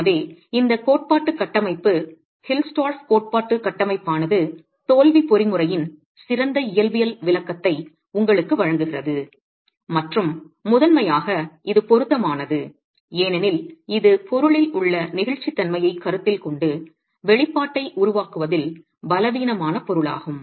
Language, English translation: Tamil, So this theoretical framework, the HILSTOV theoretical framework actually gives you a better physical interpretation of the failure mechanism and is appropriate primarily because it considers the inelasticity in the material, the weaker material, the motor in formulating the expression itself